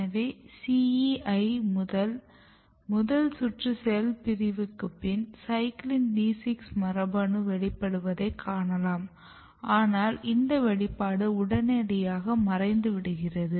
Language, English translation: Tamil, So, when CEI undergo the first round of cell division you can see this genes are expressed this CYCLIN D gene is expresses, but immediately after that it its expression is totally disappearing